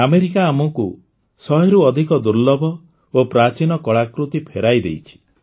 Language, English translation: Odia, America has returned to us more than a hundred rare and ancient artefacts